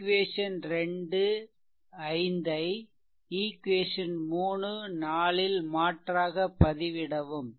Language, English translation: Tamil, So, substitute equation 2 and 5 in equation 3 and 4 right